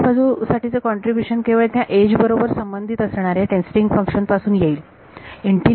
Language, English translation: Marathi, So, the contribution to the right hand side will only come from those testing functions which are associated with that edge